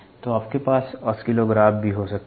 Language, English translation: Hindi, So, you can also have oscillographs